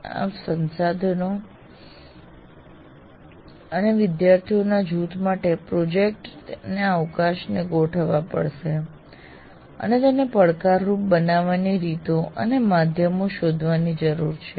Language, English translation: Gujarati, You have to fine tune the resources, the scope of the project for a group of students and how to make it challenging